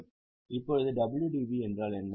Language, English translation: Tamil, Now, what is wdv